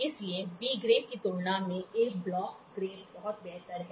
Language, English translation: Hindi, So, A block grade is much better than B grade